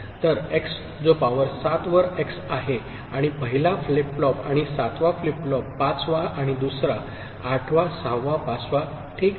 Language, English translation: Marathi, So, x that is x to the power 7 and the 1st flip flop and 7th flip flop; 5th and 2nd; 8th 6th 5th and 1st ok